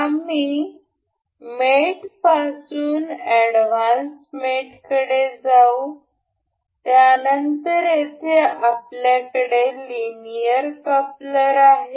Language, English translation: Marathi, We will go to mate to advanced mate, then here we have linear coupler